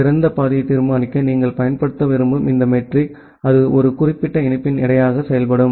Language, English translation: Tamil, And where this metric that you want to use to decide the best path, that will work as the weight of a particular link